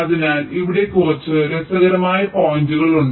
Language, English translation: Malayalam, ok, ok, so there are a few interesting points here